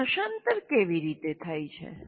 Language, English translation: Gujarati, Now, how does it get translated